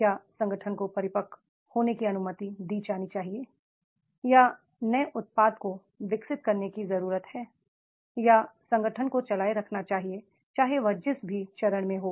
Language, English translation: Hindi, Is it to be allowed to organization to get matured or it is required to develop the new products or it is required to make the run in whatever the stage it is